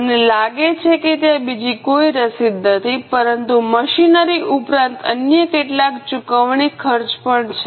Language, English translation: Gujarati, I think there is no other receipt but there are few other payments, expenses as well as machinery